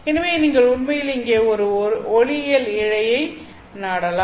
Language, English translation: Tamil, So you can actually close an optical fiber over here